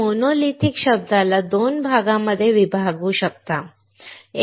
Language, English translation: Marathi, We can divide the term monolithic into 2 parts, alright